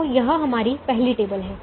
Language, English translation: Hindi, so this is our first table